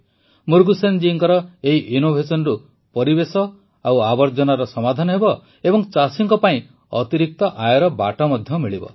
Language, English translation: Odia, This innovation of Murugesan ji will solve the issues of environment and filth too, and will also pave the way for additional income for the farmers